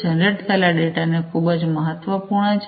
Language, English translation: Gujarati, The data that is generated is very important